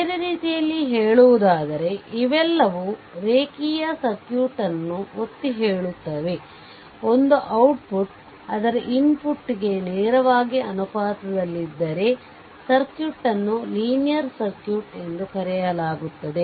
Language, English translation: Kannada, In other words all this are all are underlines a linear circuit is one output is directly proportional to its input right output is directly proportional to its input, then the circuit is called a linear circuit